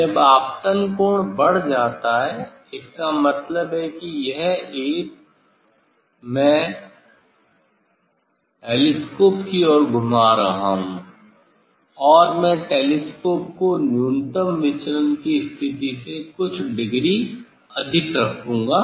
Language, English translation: Hindi, when incident angle is increased that means, this edge I am rotating towards the telescope and telescope I will keep few degree more than the minimum deviation position